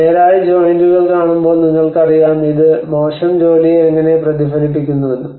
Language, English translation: Malayalam, As we see the straight joints, you know so how this reflects the poor workmanship